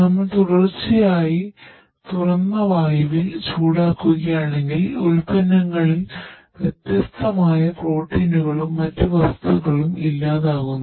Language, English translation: Malayalam, Right If we heat continuously and in an open air, then the products different protein and other things are denatured